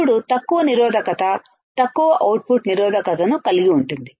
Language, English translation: Telugu, Then it has low resistance low output resistance